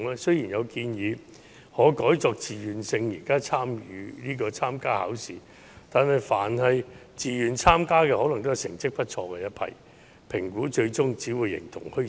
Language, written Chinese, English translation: Cantonese, 雖然有建議認為可改以自願性質參加考試，但自願參加的可能都是成績不錯的一批學生，於是評估最終便只會形同虛設。, Although it has been suggested that schools can participate in the assessment on a voluntary basis the students who will join voluntarily will likely be those who are academically strong . Then the assessment will end up being virtually useless